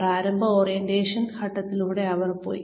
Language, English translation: Malayalam, Put them through the initial orientation phase